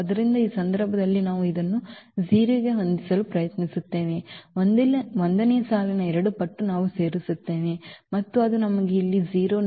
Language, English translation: Kannada, So, in this case we will try to set this to 0 here with two times the row 1 we will add and that will give us 0 here